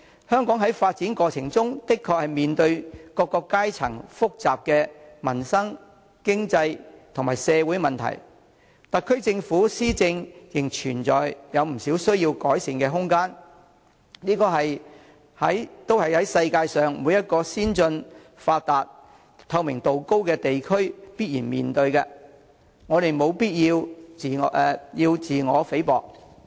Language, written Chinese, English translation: Cantonese, 香港在發展過程中的確面對各階層複雜的民生、經濟及社會問題，特區政府施政仍有不少需要改善的空間，但這些都是世界上每個先進、發達、透明度高的地區必然面對的，我們無必要妄自菲薄。, In the course of development Hong Kong is indeed faced with many complicated issues in respect of peoples livelihood the economy and society in various social strata . It is a fact that the SAR Governments governance still has much room for improvement but all advanced and developed regions with a high degree of transparency cannot be exempt from such issues and we have no need to belittle ourselves